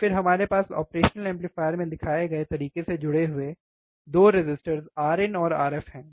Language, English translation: Hindi, And then we have 2 resistors R in and R f connected in the same way shown in circuit